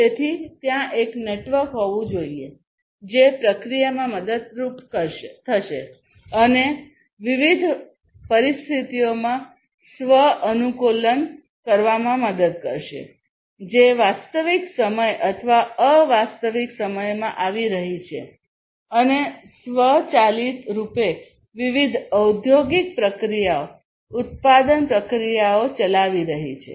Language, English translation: Gujarati, So, this network will help in the process and self adapting to the different conditions, which are coming in real time or non real time, and automate autonomously running the different industrial processes the production processes